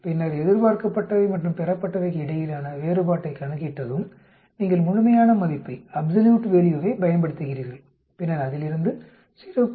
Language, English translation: Tamil, Then, once you calculate the difference between the expected and the observed, you use the absolute value and then subtract minus 0